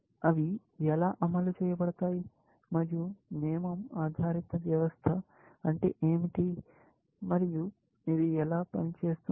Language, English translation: Telugu, How are they implemented, and what is a rule based system, and how does it work